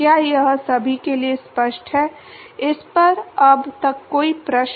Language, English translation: Hindi, Is that cleared to everyone, any questions on this so far